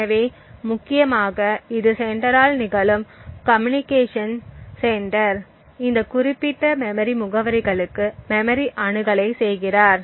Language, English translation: Tamil, So, essentially this is the communication which is happening by the sender, the sender is making memory accesses to these particular memory addresses